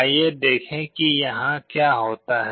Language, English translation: Hindi, Let us see what happens here